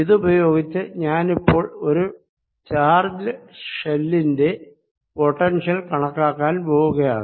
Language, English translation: Malayalam, using this now i am going to calculate the potential due to a shell of charge